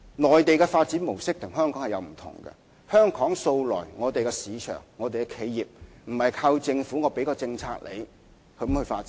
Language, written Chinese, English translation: Cantonese, 內地的發展模式與香港有不同，在香港的市場，企業素來不是靠政府提供政策而發展的。, The development modes of the Mainland and Hong Kong are different . In the market of Hong Kong the development of enterprises does not rely on policies introduced by the Hong Kong and it has been the case all along